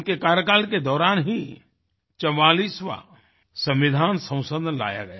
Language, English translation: Hindi, During his tenure, the 44th constitutional amendment was introduced